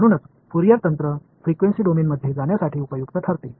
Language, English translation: Marathi, So, that is why Fourier techniques become useful to go into the frequency domain